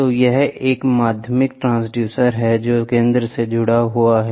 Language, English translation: Hindi, So, this is a secondary transducer which is connected to the center